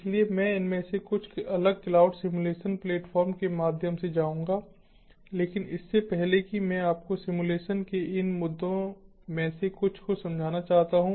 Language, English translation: Hindi, so i will go through some of these different cloud simulation platforms, but before that, i would like to ah make you understand some of these issues of simulation